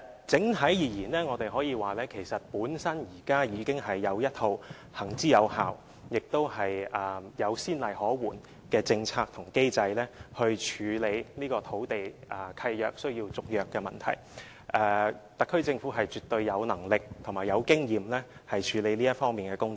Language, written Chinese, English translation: Cantonese, 整體而言，我們可以說，現時已經有一套行之有效，也有先例可援的政策和機制，以處理土地契約續約的問題，特區政府絕對有能力及經驗處理這方面的工作。, All in all we can say that we have an existing policy and mechanism which are effective and have precedents to go by in handling problems concerning renewal of land leases . It is certain that the HKSAR Government has the ability and experience to handle issues in this regard